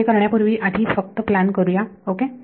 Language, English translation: Marathi, So, before we do this let us just plan it ok